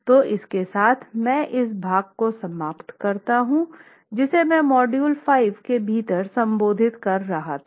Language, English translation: Hindi, So, with that I conclude this part which is a second special topic that I am addressing within module 5